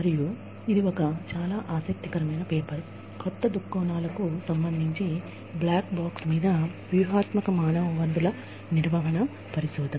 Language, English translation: Telugu, And, this is a very interesting paper, regarding new perspectives, on the black box, in strategic human resource management research